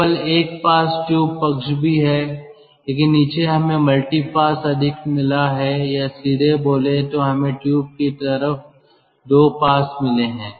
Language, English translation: Hindi, tube side also there is one pass, but below we have got multi pass, ah more, or, directly speaking, we have got two passes on the tube side